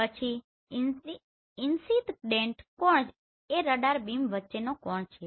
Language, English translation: Gujarati, Then incident angle the angle between the radar beam